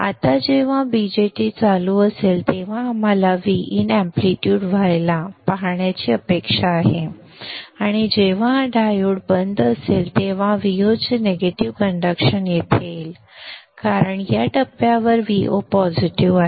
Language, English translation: Marathi, Now when the BJT is on we expect to see this amplitude to be V in amplitude coming directly here and when this is off diode is conducting negative of V0 will come in here because V0 is positive at this point